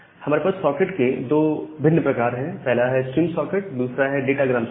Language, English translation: Hindi, So, we have two different type of socket; the stream socket and the datagram socket